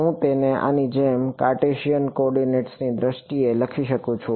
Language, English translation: Gujarati, I can write it in terms of Cartesian coordinates like this ok